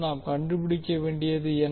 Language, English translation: Tamil, What we need to find out